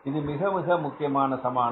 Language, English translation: Tamil, This is very important equation